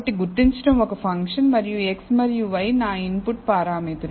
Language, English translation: Telugu, So, identify is a function and x and y are my input parameters